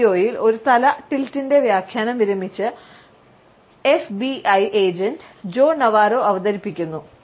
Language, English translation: Malayalam, In this video, the interpretation of a head tilt is presented by a retired FBI agent Joe Navarro